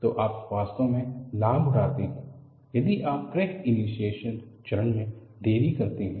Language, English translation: Hindi, So, you really take an advantage, if you delay the crack initiation phase